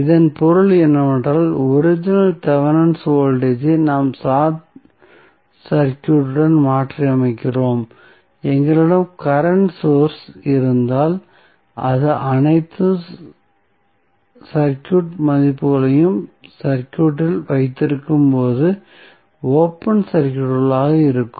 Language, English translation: Tamil, So, that means, that the original Thevenin voltage we are replacing with the short circuit, if we have a current source then it will be open circuited while keeping all resistance value in the circuit